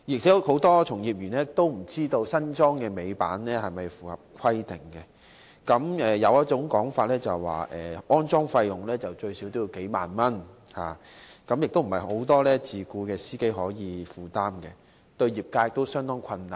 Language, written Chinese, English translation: Cantonese, 此外，很多從業員都不知道新安裝的尾板是否符合規定，有說法指，安裝費用最少需要數萬元，不是很多自僱司機可以負擔，對業界亦做成相當大困難。, Besides many practitioners are unsure whether their newly - installed tail lifts comply with the requirements . Some say that the installation costs at least a few ten thousand dollars which is an unaffordable amount to many self - employed drivers and also something which has created much difficulty to the industry